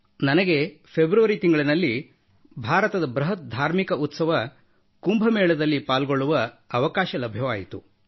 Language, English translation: Kannada, I had the opportunity to attend Kumbh Mela, the largest religious festival in India, in February